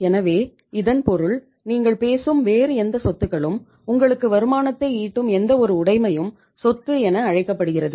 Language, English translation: Tamil, So it means or any other assets you talk about, any assets which is generating income for you that is called as asset or that is called as the property